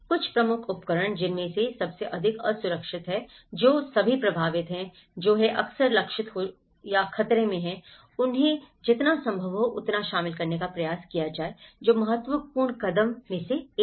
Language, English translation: Hindi, Some of the key tools, involving the most vulnerable so, who are all affected, who are frequently targeted or who are under threat, try to involve them as much as possible that is one of the important step